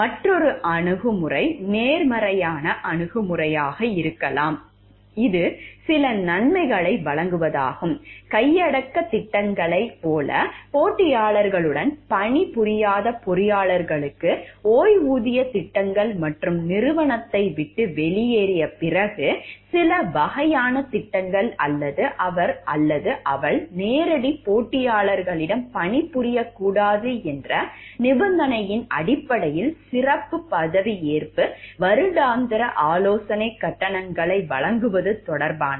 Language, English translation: Tamil, Another approach could be a positive approach which it is to offer certain benefits; like portable plans, say pension plans to engineers for not working with competitors and certain kinds of projects after leaving the company or could relate to offering special post employment, annual consulting fees on the condition that he or she should not be working for a direct competitor during that period